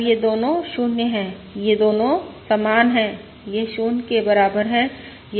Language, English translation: Hindi, Now, both of these are 0, both of these are equal to